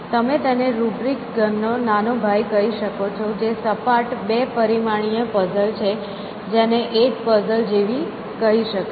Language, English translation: Gujarati, So, there is you might say a younger cousin of this rubrics cubes, which is on a flat, two dimensional puzzle, which is called things like 8 puzzle